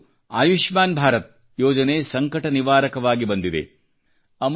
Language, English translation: Kannada, For her also, 'Ayushman Bharat' scheme appeared as a saviour